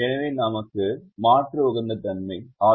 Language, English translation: Tamil, so we have alternate optimum